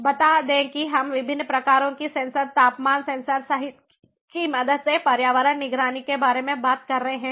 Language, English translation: Hindi, let us say we are talking about environment monitoring with the help of different types of sensors, including temperature sensor